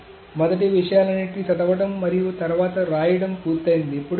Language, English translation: Telugu, So first you read all of these things and then the rights is done